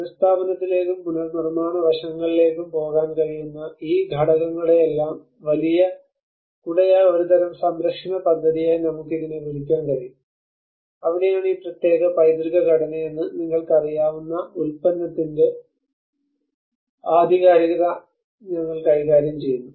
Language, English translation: Malayalam, We can call it as a kind of conservation project which is a bigger umbrella of all these components which can go into restoration, the reconstruction aspects and that is where we deal with the authenticity of the product you know what this particular heritage structure belongs to